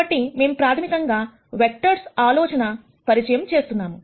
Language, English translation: Telugu, So, we are going to introduce the notion of basis vectors